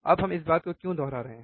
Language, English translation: Hindi, Now, why we are kind of repeating this thing